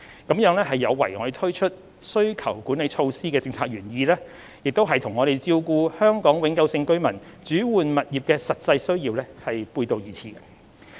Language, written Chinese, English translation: Cantonese, 這有違推出需求管理措施的政策原意，亦與照顧香港永久性居民轉換物業的實際需要背道而馳。, This is at variance with the policy intent of introducing demand - side management measures and goes against taking care of the practical needs of Hong Kong permanent residents in replacing their properties